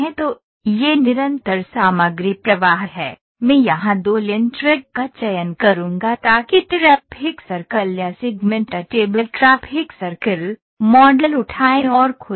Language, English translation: Hindi, So, this is continuous material flow, I will select two lane track here so traffic circle or segment table traffic circle, pick and open the model ok